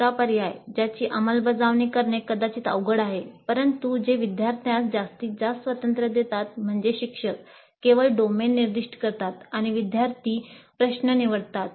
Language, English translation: Marathi, The third alternative, which is probably difficult to implement, but which gives the maximum freedom to the student, is that instructor specifies only the domain and the students select the problem